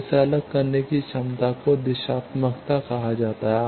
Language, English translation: Hindi, So, that ability of this to separate this that is called directivity